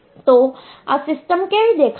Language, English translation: Gujarati, So, how this system will look like